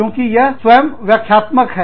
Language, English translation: Hindi, Because, it is all self explanatory